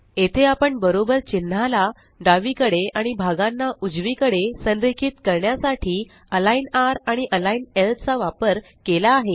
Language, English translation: Marathi, So here, we have used align r and align l to align the parts to the right and the left of the equal to character